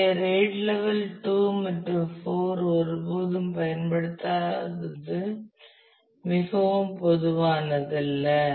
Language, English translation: Tamil, So, that is not very common the RAID level 2 and 4 are never used